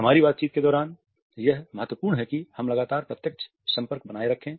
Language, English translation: Hindi, During our conversation it is important that we maintain continuously a direct eye contact